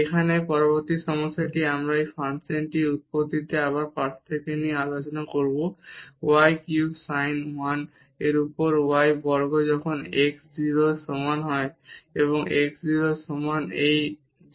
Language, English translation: Bengali, The next problem here we will discuss the differentiability again at the origin of this function y cube sin 1 over y square when x is not equal to 0 and x is equal to 0 this is 0